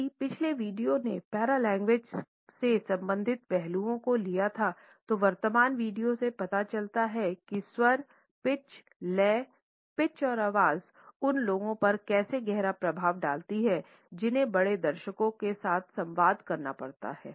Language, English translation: Hindi, If the previous video had taken up the hilarious aspects related with paralanguage, the current video in a serious manner suggest how tone, pitch, rhythm, pitch and voice have profound impact on those people who have to communicate with a large audience